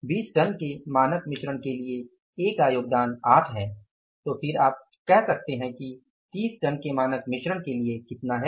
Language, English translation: Hindi, For a standard mix of 20 tons, then for a standard mix of 20 tons, then for a standard mix of 20 tons, A's contribution 8 then for a standard mix of you can say how much for a standard mix of 30 tons, A's contribution is how much